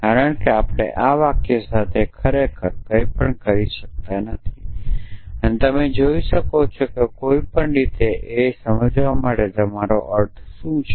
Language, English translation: Gujarati, Because we cannot really do anything with this sentences essentially, because what you need here is to somehow understand what you mean by all